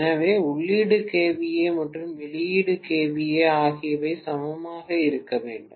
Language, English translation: Tamil, So output kVA is 2